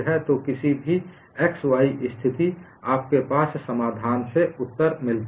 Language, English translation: Hindi, So, at any xy position, you have the answer from the solution